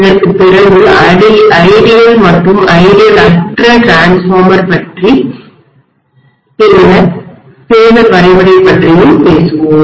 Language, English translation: Tamil, After this we will talk about ideal and non ideal transformer and then the phasor diagram